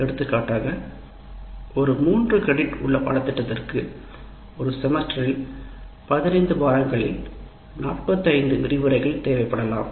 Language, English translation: Tamil, For example, a three credit course will take about even if you take 15 weeks, working weeks, it is 45 lectures in a semester